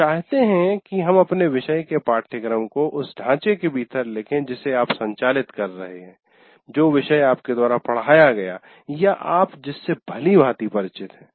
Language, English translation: Hindi, Now we would like you to write the syllabus of your course within the framework you are operating for a course you taught or familiar with